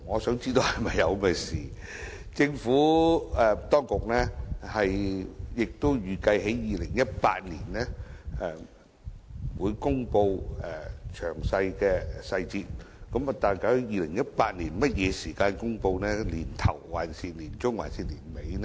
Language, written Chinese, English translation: Cantonese, 雖然政府當局預計於2018年公布細節，但究竟是在2018年年初、年中還是年底公布呢？, The Administration expects to announce the details by 2018 but exactly when will the announcement be announced―the beginning the middle or the end of the year?